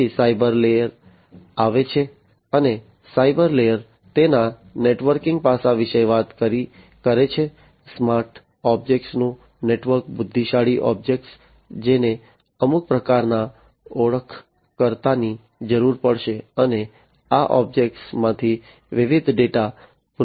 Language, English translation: Gujarati, Then comes the cyber layer, and the cyber layer is talking about this networking aspect of it, network of smart objects, intelligent objects, which will need some kind of an identifier, and from this objects the different data are going to be retrieved